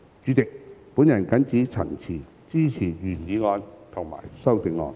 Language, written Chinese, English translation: Cantonese, 主席，我謹此陳辭，支持原議案及修正案。, President with these remarks I support the original motion and the amendment